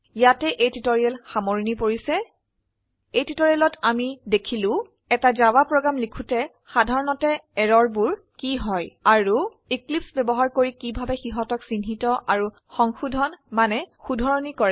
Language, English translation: Assamese, In this tutorial we have seen what are the typical errors while writing a Java program and how to identify them and rectify them using Eclipse